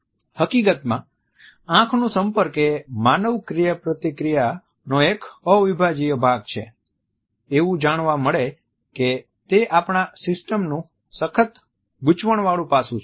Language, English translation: Gujarati, In fact, eye contact is an integral part of human interaction, in a way it has been found that it is hardwired in our system